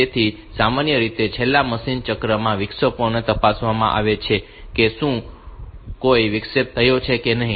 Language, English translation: Gujarati, So, typically in the last machine cycle the interrupt is the interrupts are checked whether any interrupt has occurred or not